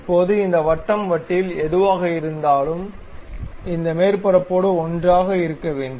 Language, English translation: Tamil, Now, this surface whatever this on the circular disc, and this surface supposed to be together